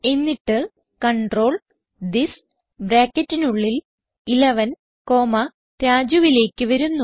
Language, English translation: Malayalam, Then the control comes to this within brackets 11 comma Raju